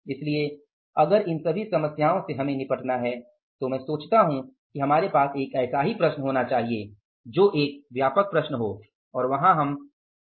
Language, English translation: Hindi, So, if all these problems we have to deal with, then I think we should have a problem like that which is a comprehensive problem and there we are able to address all such issues